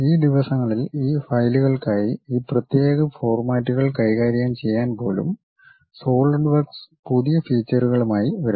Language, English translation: Malayalam, But these days, Solidworks is coming up with new features even to handle these specialized formats for these files